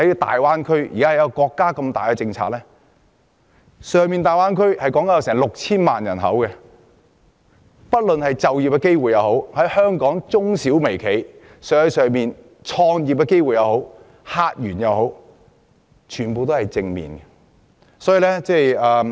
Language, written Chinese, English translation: Cantonese, 大灣區共有 6,000 萬人口，其發展對於香港青年人的就業機會、香港中小企的生意和客源等，都有正面影響。, The Greater Bay Area has a population of 60 million and its development will have positive impacts on the job opportunities of our young people as well as the business and customer base of our SMEs